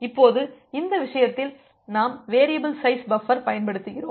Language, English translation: Tamil, Now, in this case we use the variable size buffers